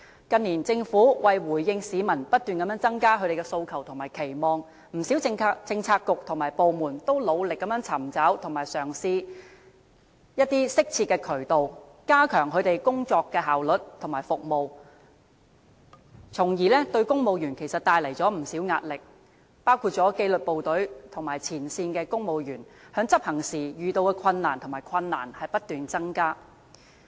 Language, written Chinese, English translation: Cantonese, 近年政府為了回應市民不斷增加的訴求和期望，不少政策局和部門均努力尋找和嘗試一些適切的渠道，以加強其工作效率和服務，但卻為公務員帶來不少壓力，包括紀律部隊和前線公務員在執行職務時遇到的困難不斷增加。, In order to respond to increasing demands and aspirations of the people many Policy Bureaux and government departments in recent years have sought to find and try suitable channels to enhance their work efficiency and services . However this has put immense pressure on civil servants including the increasing difficulties that disciplined services and frontline civil servants have encountered in executing their duties . The overall performance of the Civil Service has been outstanding professional and clean